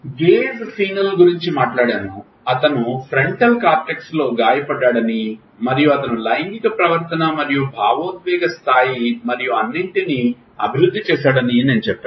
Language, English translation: Telugu, We talked about phenus Gage when I said that he got injury in frontal cortex and he developed sexual behavior and emotional levelity and all